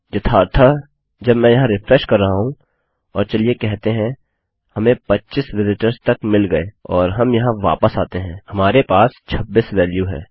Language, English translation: Hindi, As matter of fact, when I am refreshing here and lets say, we get to 25 visitors and we come back here, well have the value 26